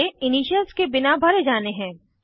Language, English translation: Hindi, These are to be filled without any initials